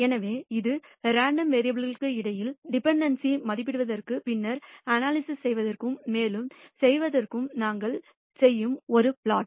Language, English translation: Tamil, So, this is a plot which we will do in order to assess dependency between two variables and then proceed for further for analysis